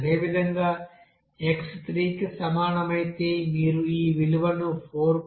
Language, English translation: Telugu, Similarly, if suppose x is equal to 3, you can get this value or the value it is coming 4